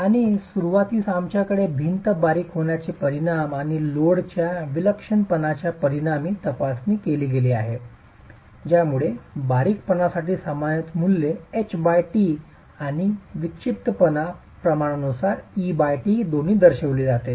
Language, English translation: Marathi, And to begin with we have examined the effect of the slenderness of the wall and the effect of the eccentricity of the load represented both as normalized values, H by T for the slenderness and E by T for the eccentricity ratio